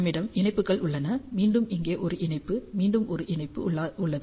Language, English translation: Tamil, We have the connectors here, again a connector here again a connector here